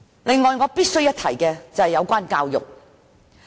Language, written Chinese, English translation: Cantonese, 此外，我必須一提的是教育問題。, Moreover I must talk about education here